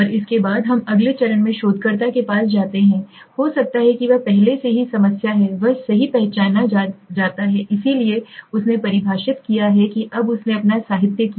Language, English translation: Hindi, And after this we move into something the next stage is the researcher has may be he has already problem he is identified right so he has defined now he did his literature right